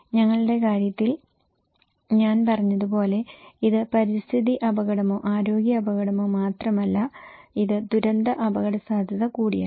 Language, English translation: Malayalam, In our case, as I said it’s not only environmental risk or health risk, it’s also disaster risk